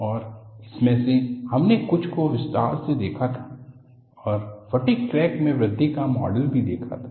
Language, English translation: Hindi, And of this, we had seen in some detail, a model for growth of a fatigue crack